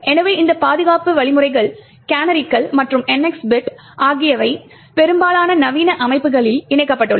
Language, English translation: Tamil, So, both this defense mechanisms the canaries as well as the NX bit are incorporated in most modern systems